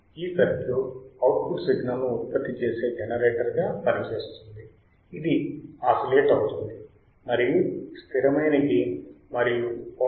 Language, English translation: Telugu, The circuit works as a generator generating the output signal, which oscillates and generates an output which oscillates with a fixed amplitude and frequency